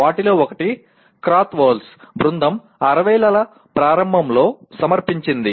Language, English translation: Telugu, One of the first ones was presented by Krathwohl’s group back in early ‘60s